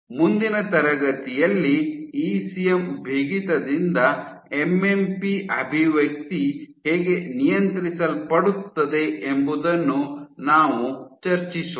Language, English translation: Kannada, In the next class, we will discuss how MMP expression is regulated by ECM stiffness